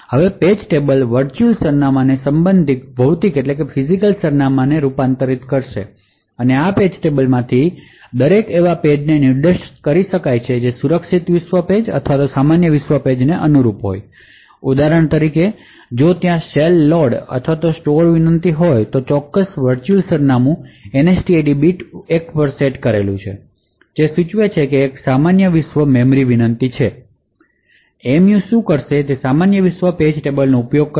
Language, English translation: Gujarati, Now the page tables convert the virtual address to corresponding physical address and each of this page tables would thus be able to point to pages which correspond to secure world pages or the normal world pages so for example if there is a say load or store request to a particular virtual address the NSTID bit is set to 1 which would indicate that it is a normal world memory request, what the MMU would do is that it would use the normal world page tables